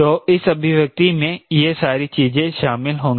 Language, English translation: Hindi, so all these things will be covered into this expression